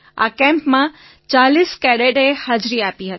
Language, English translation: Gujarati, 400 cadets attended the Camp